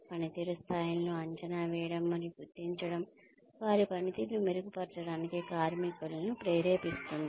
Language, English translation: Telugu, Assessment and recognition of performance levels can motivate workers to improve their performance